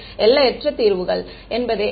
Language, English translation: Tamil, That is what infinite solutions means